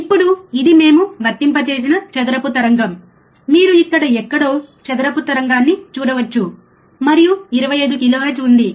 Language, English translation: Telugu, Now, this is a square wave that we have applied, you can see square wave here somewhere here, right and there is 25 kilohertz